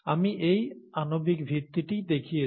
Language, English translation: Bengali, This is what I had shown the molecular basis for